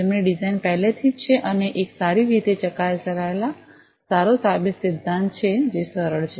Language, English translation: Gujarati, Those who have already up with a design and it is a well tested well proven principle that is simpler